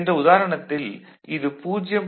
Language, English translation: Tamil, So, here it is 0